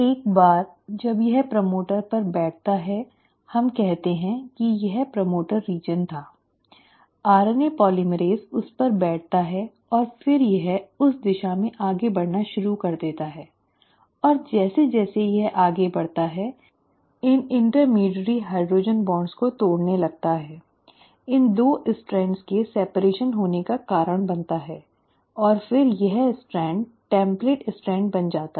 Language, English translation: Hindi, Once it sits on the promoter, so let us say this was the promoter region, right, the RNA polymerase sits on it and then it starts moving in that direction, and as it moves along it starts breaking these intermediary hydrogen bonds, causes the separation of these 2 strands and then this strand becomes the template strand